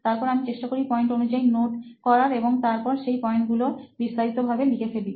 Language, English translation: Bengali, Then I try to note it down point wise and then explain all those points, each and every point in detail